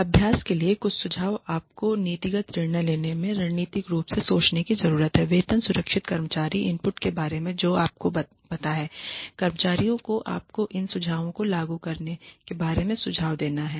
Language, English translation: Hindi, Some suggestions for practice, you need to think strategically in making policy decisions concerning pay securing employee input you know just get the employees to give you suggestions on how to implement these plans if you are actually planning on implementing a job based compensation plan